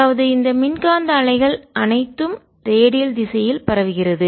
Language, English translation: Tamil, so all this electromagnetic waves of propagating in the redial direction